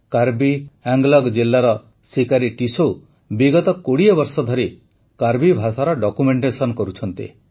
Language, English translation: Odia, Sikari Tissau ji of Karbi Anglong district has been documenting the Karbi language for the last 20 years